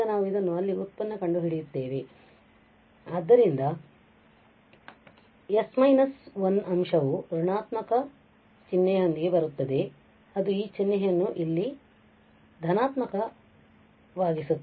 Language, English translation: Kannada, Now we will differentiate this there so s minus 1 factor will come with negative sign which will make this sign positive here